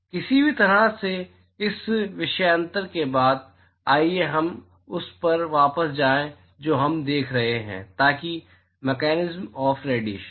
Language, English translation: Hindi, Any way after this digression, so, let us go back to the what we are looking at so the mechanism of radiation